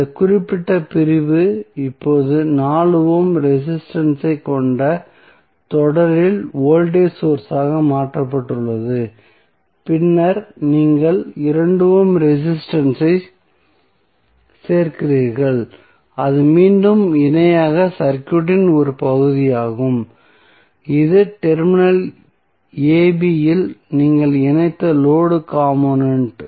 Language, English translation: Tamil, So, this particular segment is now converted into voltage source in series with 4 ohm resistance then you add 2 ohm resistance that is the part of the circuit in parallel again and this is the load component which you have connected at terminal a, b